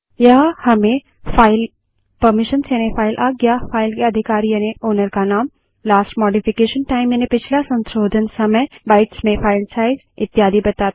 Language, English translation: Hindi, It gives us the file permissions, file owners name, last modification time,file size in bytes etc